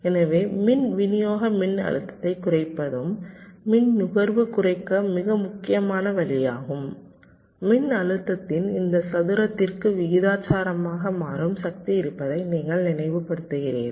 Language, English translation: Tamil, so reduction of power supply voltage is also very, very important way to reduce the power consumption because, you recall, dynamic power is proportional to this square of the voltage